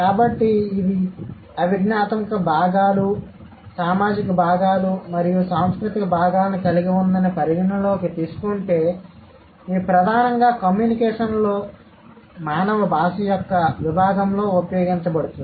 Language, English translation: Telugu, So, considering it has the cognitive components, social components, and cultural components, and it is primarily used in the communication domain of human language